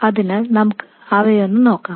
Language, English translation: Malayalam, So let's go through them